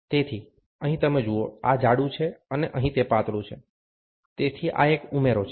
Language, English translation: Gujarati, So, here you see, this is thicker, and here it is thinner, so this is addition